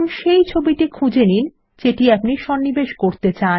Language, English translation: Bengali, Now locate the image you want to insert